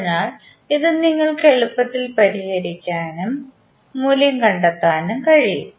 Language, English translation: Malayalam, So, this you can easily solve and find out the value